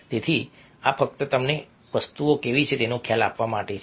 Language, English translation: Gujarati, ok, so this is just to give you an idea of a how things are ok